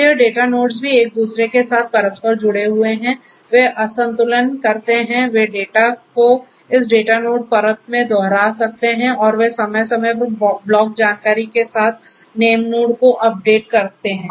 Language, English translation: Hindi, So, this data nodes also are interconnected with each other, they can imbalance, they can replicate the data across each other in this data node layer and they update the name node with the block information periodically